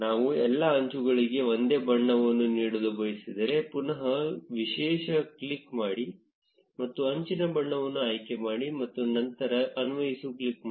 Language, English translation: Kannada, If we want to give the same color to all the edges, click back on unique and select the edge color and then click on apply